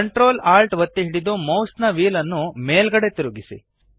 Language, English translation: Kannada, Hold ctrl, alt and scroll the mouse wheel upwards